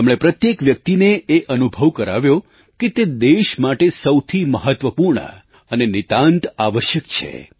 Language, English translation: Gujarati, He made everyone feel that he or she was very important and absolutely necessary for the country